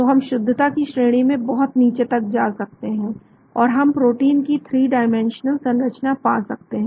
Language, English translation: Hindi, So we can go down to very high degree of accuracy, and we can get that 3 dimensional structure of the protein